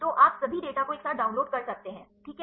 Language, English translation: Hindi, So, you can download all the data all together ok